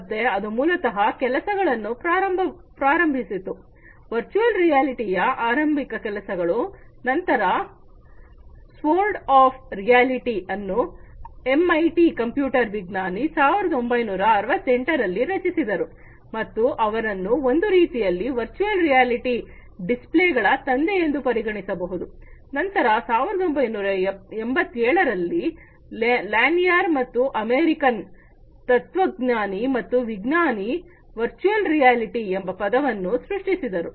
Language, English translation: Kannada, So, that basically you know started the works you know the initial works on virtual reality, then the Sword of Damocles was created by an MIT computer scientist in 1968 and he is considered sort of like a father of virtual reality displays, then in 1987, Lanier and American philosopher and scientist, coined the term virtual reality